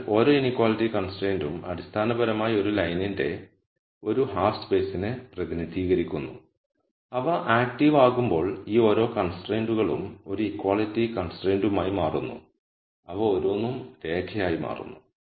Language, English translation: Malayalam, So, each inequality constraint is basically representing one half space for a line and when they become active each of these constraints become an equality constraint each of them become line